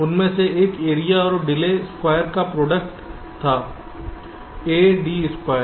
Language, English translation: Hindi, one of them was the product of area and delay, square a, d square